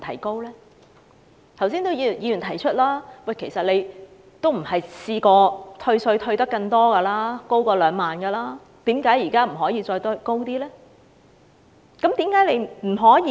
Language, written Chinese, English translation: Cantonese, 剛才也有議員提出，其實以往的退稅上限也曾高於2萬元，為何現時不可以再提高上限呢？, As pointed out by a Member the ceiling of tax reduction was at times higher than 20,000 in the past . Why cant this ceiling be raised now?